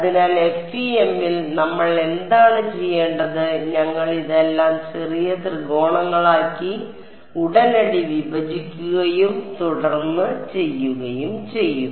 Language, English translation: Malayalam, So, what is what do we have to do in the FEM, we will be breaking this whole thing into little triangles right all over and then doing